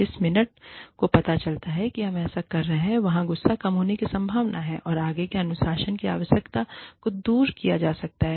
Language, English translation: Hindi, The minute, the person realizes that, we are doing this, where anger is likely to come down, and the need for further discipline, can be removed